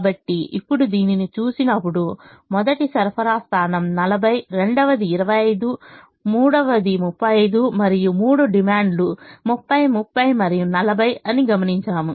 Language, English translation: Telugu, so now, when we look at this, we observe that the first supply point has forty, second has twenty five, the third has twenty five and the three demands are thirty, thirty and forty